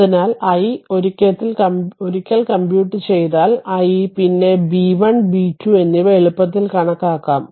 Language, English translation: Malayalam, So, this is your i that i i once you comp once you compute the i, then you can easily compute the b 1 and b 2